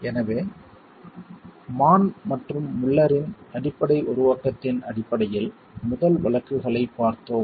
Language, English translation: Tamil, So, we had looked at the first of the cases based on the basic formulation of Mann and Mueller